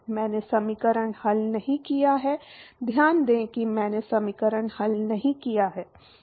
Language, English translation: Hindi, I have not solved the equation, note that I have not solved the equation